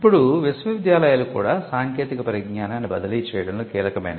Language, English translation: Telugu, Now, universities also as I said where instrumental in transferring technology